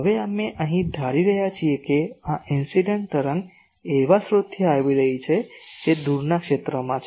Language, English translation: Gujarati, Now, here we are assuming that this incident wave is coming from a source which is at the far field